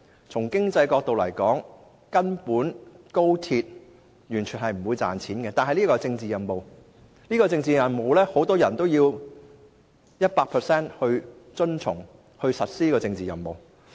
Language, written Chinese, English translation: Cantonese, 從經濟角度來說，高鐵根本無利可圖，只是一項政治任務。然而，很多人必須百分百遵從並實施這項政治任務。, Judging from an economic perspective the unprofitable Express Rail Link project is nothing more than a political mission; yet many people are obliged to accomplish this mission